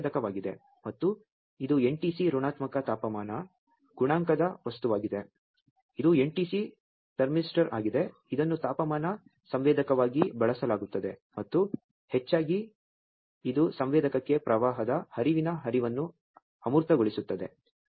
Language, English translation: Kannada, This is sensor and this is the NTC that is an negative temperature coefficient material it is a NTC thermistor actually used for sensing for it is for used as a temperature sensor and mostly it also abstract the in rush flow of current to the sensor